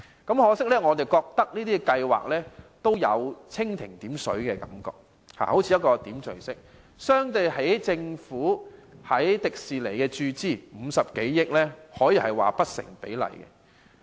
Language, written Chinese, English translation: Cantonese, 可惜，我們認為這些計劃給人蜻蜓點水的感覺，相對於政府在迪士尼注資50多億元，可說是不成比例。, However we consider these schemes insufficient . The provisions for these two schemes pale in comparison with the Governments injection of more than 5 billion to Disneyland expansion